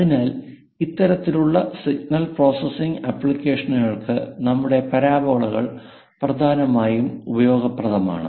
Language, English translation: Malayalam, So, our parabolas are majorly useful for this kind of signal processing applications